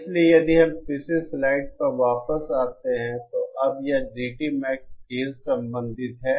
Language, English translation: Hindi, So if we just come back to the previous slide, now this GT Max is the related to K